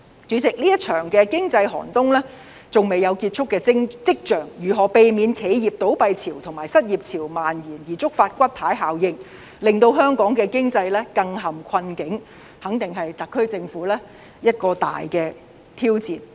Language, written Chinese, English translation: Cantonese, 主席，這場經濟寒冬還未有結束跡象，如何避免企業倒閉潮和失業潮蔓延，而觸發骨牌效應，令香港的經濟更陷困境，肯定是特區政府一個大挑戰。, President as the economic chill has shown no sign of an end it is definitely a big challenge for the SAR Government to prevent another tide of business closures and the spread of unemployment which would produce a domino effect and plunge Hong Kongs economy into greater difficulties